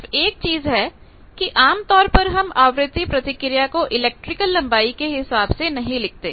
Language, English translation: Hindi, Only thing is generally we do not express the frequency response in terms of electrical length